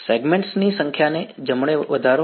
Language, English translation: Gujarati, Increase the number of segments right